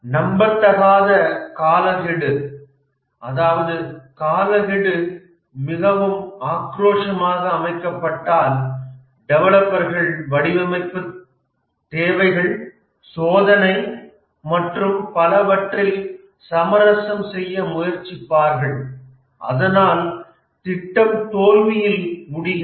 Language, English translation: Tamil, When the deadline is very aggressively set, the developers try to compromise on the design requirements, testing and so on and the project ends up as a failure